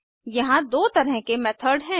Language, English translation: Hindi, There are two types of methods